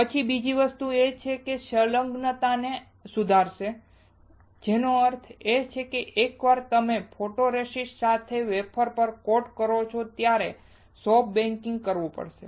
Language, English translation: Gujarati, Then the second thing is that it will improve the adhesion; which means that once you coat on the wafer with the photoresist, you have to perform soft baking